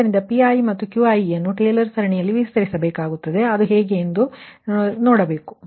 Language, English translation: Kannada, so pi and qi, we have to expand in taylor series and you have to see that how things are happening, right